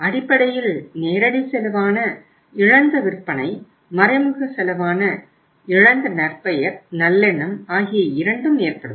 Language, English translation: Tamil, And both are going to pay the cost which is direct cost in terms of the lost sales and the indirect cost in terms of the lost reputation, goodwill